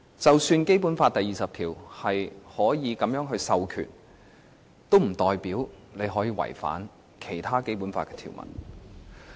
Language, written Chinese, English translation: Cantonese, 即使《基本法》第二十條訂明可以這樣授權，也不代表可以違反《基本法》的其他條文。, Even if Article 20 of the Basic Law allows such authorization this does not mean that other provisions of the Basic Law can be contravened